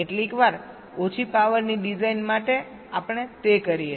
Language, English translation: Gujarati, sometimes where low power design, we do that ok